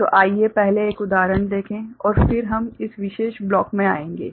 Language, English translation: Hindi, So, let us look at one example first and then we shall come to this particular block